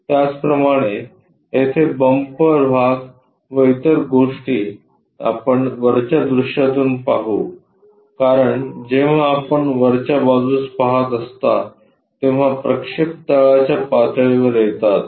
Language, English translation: Marathi, Similarly, the bumper portion and other stuff here we will see from the top view, because this is 1st angle projection when you are looking from top the projection comes at the bottom level